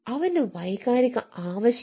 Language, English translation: Malayalam, what is her emotional need